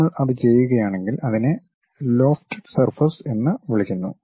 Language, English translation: Malayalam, If we are doing that we call that as lofted surfaces